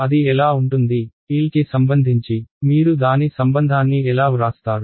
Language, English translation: Telugu, What would it be, how would you write its relation with respect to L